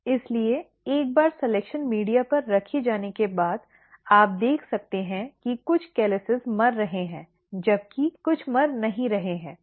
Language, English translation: Hindi, So, once placed on selection media, here you can see some of the calluses are dying whereas, some are not dying